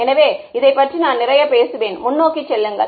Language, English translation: Tamil, So, I will talk a lot about this as we go forward ok